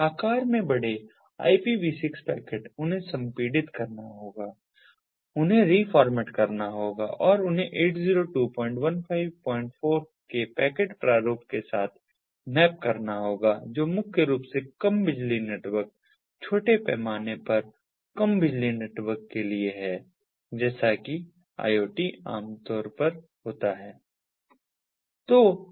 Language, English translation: Hindi, so this is what is done: ipv six packets, large in size, they have to be compressed, they have to be reformatted and they have to be mapped with the packet format of eight zero two point fifteen point four, which is primarily meant for low power networks, small scale low power networks, as is typical of iot